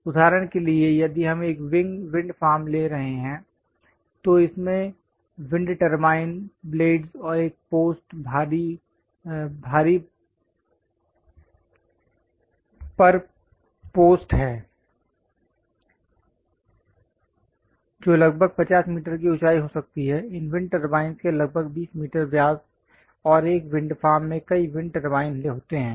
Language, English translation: Hindi, For example, if we are taking a wind farm, it contains wind turbine blades and a post massive post which might be some 50 meters height, some 20 meters diameter of these wind turbine blades, and a wind farm consists of many wind turbines